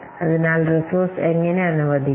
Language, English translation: Malayalam, So how to allocate the resources